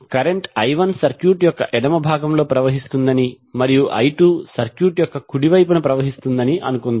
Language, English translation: Telugu, Let us assume that the current I 1 is flowing in the left part of the circuit and I 2 is flowing in the right one of the circuit